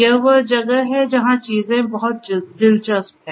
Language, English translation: Hindi, This is where things are very interesting